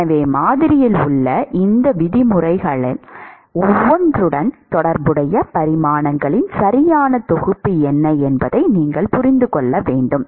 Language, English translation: Tamil, So, you must understand what is the correct set of dimensions which are associated with each of these terms in the model